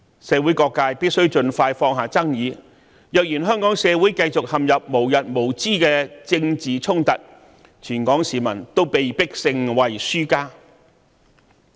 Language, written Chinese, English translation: Cantonese, 社會各界必須盡快放下爭議，因為香港社會若繼續陷入無日無之的政治衝突，全港市民也被迫成為輸家。, There is a need for people from all sectors of the community to put aside their disputes as soon as possible because if the Hong Kong community continues to be stuck in unending political conflicts all of us in Hong Kong will be forced to become losers